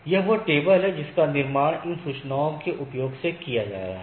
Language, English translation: Hindi, So, this is the table which is being constructed from the, from using those information